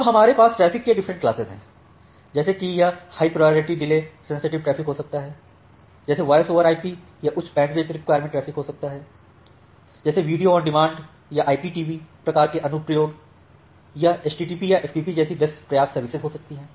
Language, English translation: Hindi, Now, we have this different classes of traffics like it can be high priority delay sensitive traffic like voice over IP, it can be high bandwidth requirement traffic like video on demand or IPTV kind of applications, it can be best effort services like HTTP or FTP